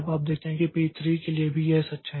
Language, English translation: Hindi, Now you see the same is true for P3 also